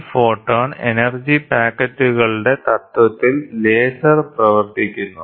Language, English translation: Malayalam, So, lasers and work on the principle of this photon energy packets